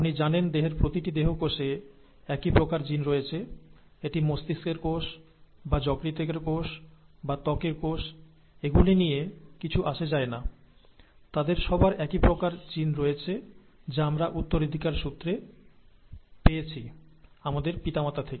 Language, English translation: Bengali, You know that each cell in the body has the same set of genes; each somatic cell in the body has the same set of genes, and it does not matter whether it is the brain cell or the liver cell or a skin cell and so on so forth, they all have the same set of genes that we inherited from our parents